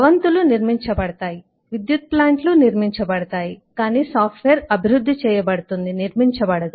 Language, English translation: Telugu, buildings are constructing, power plants are constructing, but software is typically developed, not constructed